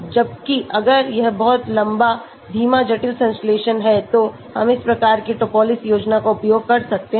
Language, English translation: Hindi, Whereas if it is a very long slow complex synthesis we can use this type of Topliss Scheme